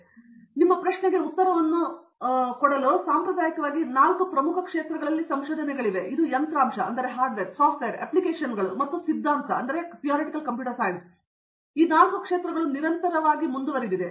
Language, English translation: Kannada, So to answer your question in to some of with answer for your question, there are four major areas of research traditionally and it continuous today hardware, software, applications and theory